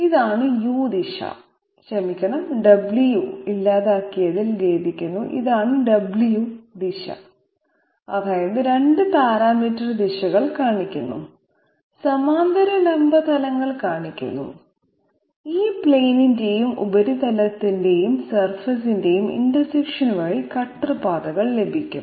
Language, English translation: Malayalam, This is the U direction I am sorry the W has got obliterated, this is the W direction that means the 2 parametric directions are shown, the parallel vertical planes are shown and the cutter paths are obtained by the intersection of these planes and the surface